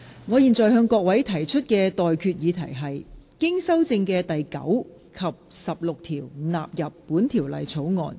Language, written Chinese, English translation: Cantonese, 我現在向各位提出的待決議題是：經修正的第9及16條納入本條例草案。, I now put the question to you and that is That clauses 9 and 16 as amended stand part of the Bill